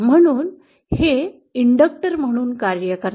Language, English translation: Marathi, So it acts as an inductor